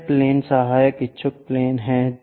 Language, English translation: Hindi, The other plane is auxiliary inclined plane